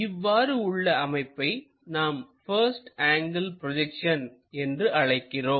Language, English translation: Tamil, If we are getting that, we call first angle projection technique